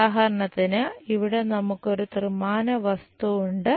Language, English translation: Malayalam, For example, here we have a three dimensional object